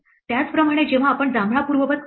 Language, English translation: Marathi, Similarly when we undo the purple